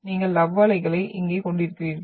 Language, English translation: Tamil, So you are having the love waves